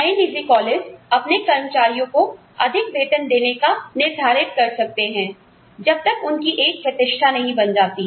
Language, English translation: Hindi, Newer private colleges may decide, to give their employees, a higher range of salary, till they establish a reputation